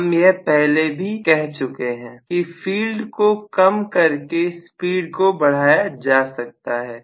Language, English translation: Hindi, We already said field weakening will generally increase the speed